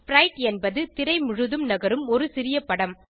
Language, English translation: Tamil, Sprite is a small image that moves around the screen.e.g